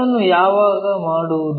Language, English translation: Kannada, When we are doing that